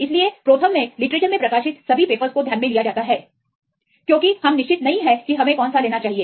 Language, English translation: Hindi, So, in the ProTherm consider as all the papers published in literature because we are not sure which one we need to take